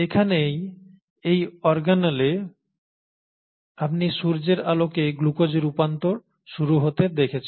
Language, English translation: Bengali, And it is here that you start seeing in this organelle the conversion of sunlight into glucose